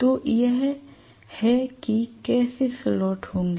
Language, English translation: Hindi, So this is how the slots are going to be